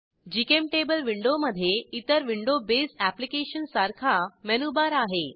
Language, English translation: Marathi, GChemTable window has Menubar like all window based applications